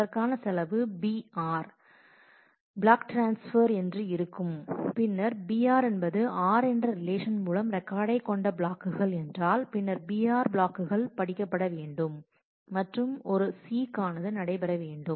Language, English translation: Tamil, So, the cost for that would be b r block transfers if there are if b r is a number of blocks containing records from relation r then b r blocks have to be read and one seek has to happen